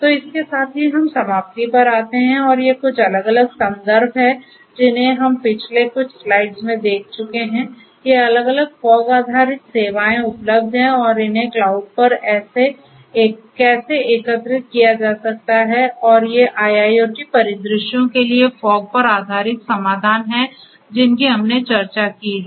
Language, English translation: Hindi, So, with this we come to an end and these are some of these different references we have gone through in the last few slides, these different different fog based services that are available and how they could be integrated with cloud and so on and these are these fog based solutions for IIoT scenarios which we have discussed